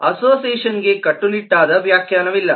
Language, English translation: Kannada, association does not have a very strict definition